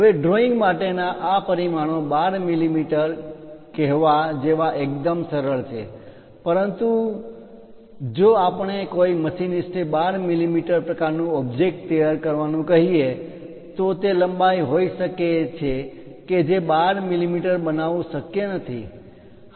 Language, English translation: Gujarati, Now, all these dimensions for drawing is perfectly fine like saying 12 mm, but if you are asking a machinist to prepare 12 mm kind of object, perhaps it can be length it can be hole its not possible to precisely make 12 mm